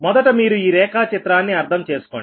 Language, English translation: Telugu, first you have to understand this diagram